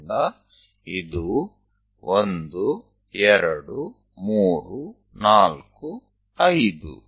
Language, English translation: Kannada, So, this is the way 1, 2, 3, 4, 5